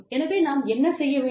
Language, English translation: Tamil, What do we do